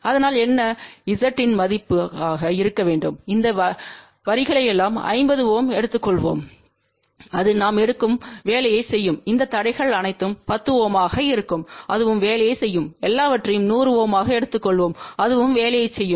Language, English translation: Tamil, So, what should be the value of Z, shall we take all these lines 50 ohm that will do the job shall we take all these impedances as 10 ohm that will also do the job, shall we take everything to be 100 ohm that will also do the job